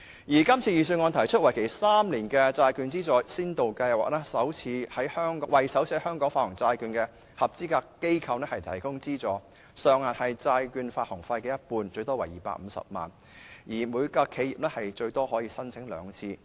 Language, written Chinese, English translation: Cantonese, 預算案提出為期3年的債券資助先導計劃，為首次在香港發行債券的合資格機構提供資助，金額是債券發行費的一半，最多為250萬元，每間企業最多可以申請兩次。, The Budget launches a three - year Pilot Bond Grant Scheme to provide a grant to eligible enterprises issuing bonds in Hong Kong for the first time . The amount of the grant is half of the issue expenses capped at 2.5 million . Each enterprise can apply twice at most